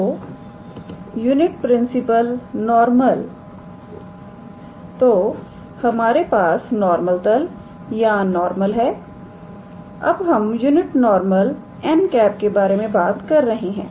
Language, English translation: Hindi, So, unit principal normal; so, we have normal plane or normal now we are talking about unit normal n cap, alright